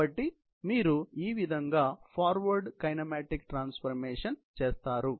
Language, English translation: Telugu, So, that is how you do the forward kinematic transformation